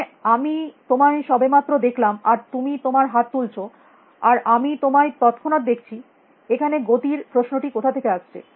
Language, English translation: Bengali, I mean I just see you and you raise your hand and I see instantaneously; where is the